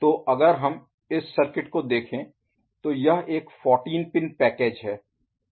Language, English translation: Hindi, So, if we look at this circuit, it is a 14 pin package ok